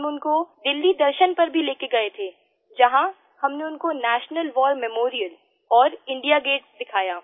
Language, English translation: Hindi, We also took them around on a tour of Delhi; we showed them the National war Memorial & India Gate too